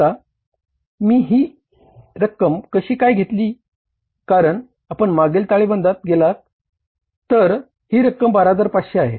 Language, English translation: Marathi, Now how I have worked out this figure because if you go to the previous balance sheet this amount is 12,500